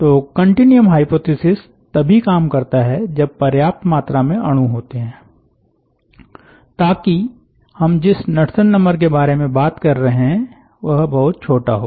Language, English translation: Hindi, so continuum hypothesis works if there are sufficiently large number of molecules, so that the knudsen number that we are talking about is very, very small